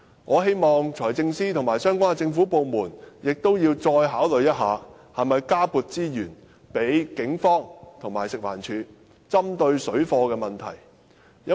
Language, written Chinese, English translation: Cantonese, 我希望，財政司司長和相關的政府部門能再考慮一下，看看應否加撥資源予警方和食物環境衞生署作應付水貨問題之用。, I hope that the Financial Secretary and the government departments concerned can reconsider whether more resources should be allocated to the Police and the Food and Environmental Hygiene Department for dealing with the problem of parallel trading